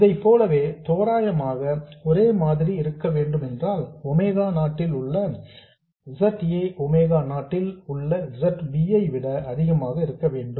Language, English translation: Tamil, And similarly for this to be approximately 1, we need to have ZA at omega 0 much greater than ZB at omega 0